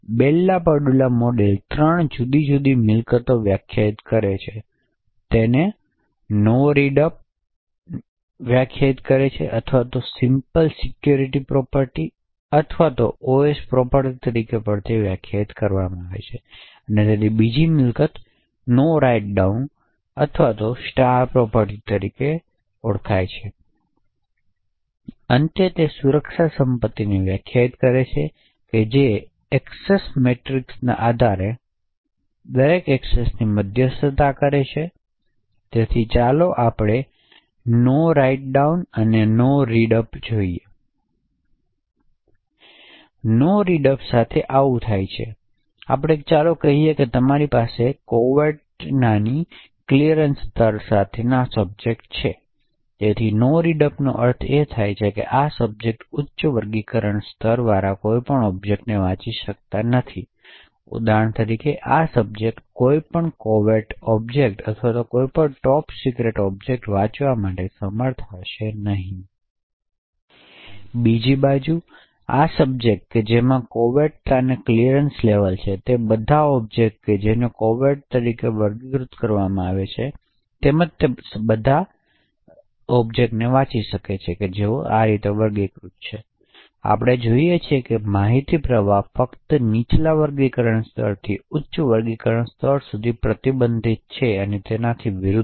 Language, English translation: Gujarati, So Bell LaPadula model defines three different properties, it defines No Read Up or also known as the Simple Security property or the SS property, it also defines a second property known as No Write Down or the Star property and finally it defines Discretionary security property which mediates every access based on the access matrix, so let us look at what these two policies are No Read Up and No Write down Essentially with No Read up this is what happens, let us say you have a subject with a clearance level of confidential, so with No Read Up it would mean that this subject cannot read any objects having a high classification level, so for example this subject will not be able to read any secret objects or any top secret objects, on the other hand this subject which has a clearance levels of confidential can read all the objects which are classified as confidential as well as all the objects which are unclassified, thus we see that information flow is only restricted from a lower classification level to a higher classification level and not vice versa